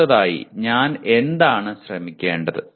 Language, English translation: Malayalam, What should I try next